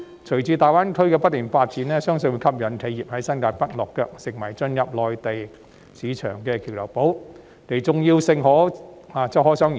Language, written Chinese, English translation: Cantonese, 隨着大灣區不斷發展，相信會吸引企業在新界北落腳，令新界北成為進入內地市場的橋頭堡，重要性可想而知。, With the continuous development of GBA it is believed that enterprises will be attracted to settle in New Territories North making it a bridgehead for entering the Mainland market . It is thus not difficult to imagine the importance of New Territories North